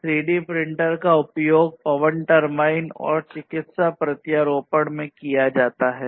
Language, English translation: Hindi, So, these have basically, 3D printers have applications in wind turbines, medical implants and so on